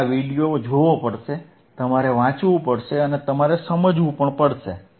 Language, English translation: Gujarati, and yYou have to watch this video, you have to read, you have to watch and you have to understand